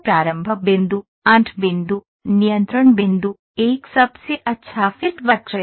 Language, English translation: Hindi, Start point, end point, control points, there is a best fit curve